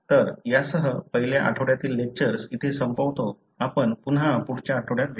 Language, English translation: Marathi, So, that pretty much ends the first week lectures on this particular course; we will meet you again next week